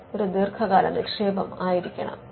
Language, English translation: Malayalam, So, it has to be a long term investment